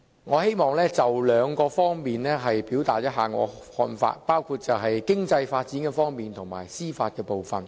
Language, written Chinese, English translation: Cantonese, 我希望就兩方面表達我的看法，包括經濟發展和司法部分。, I wish to express my views on two areas including economic development and the judicial aspect